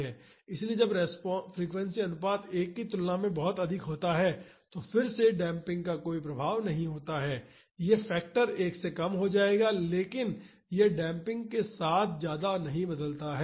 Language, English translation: Hindi, So, when frequency ratio is very high compared to 1, then again there is no influence of damping this factor will become less than 1, but it does not change much with damping